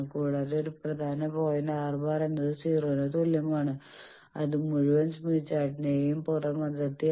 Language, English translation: Malayalam, And there is one important point R bar is equal to 0 that is the outer boundary of the whole smith chart